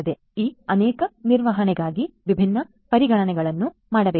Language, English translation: Kannada, So, for this many management there are these different considerations that will have to be made